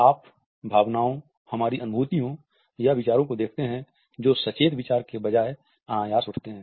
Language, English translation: Hindi, You see emotions our feelings or thoughts that arise spontaneously instead of conscious thought